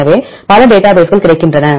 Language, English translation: Tamil, So, several databases are available